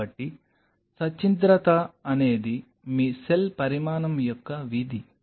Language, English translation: Telugu, So, porosity is a function of your cell size